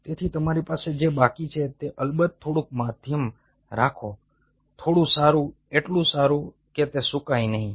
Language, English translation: Gujarati, so what you are left with is, of course, keep some some little bit of a medium, very little bit good enough, not that it doesnt get dry